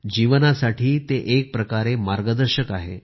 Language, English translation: Marathi, In a way, it is a guide for life